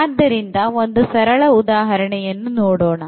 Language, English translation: Kannada, So, here we take a very simple example